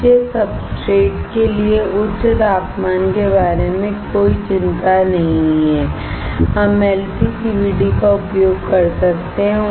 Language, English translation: Hindi, No worry about high temperature as for the substrates beneath, we can use LPCVD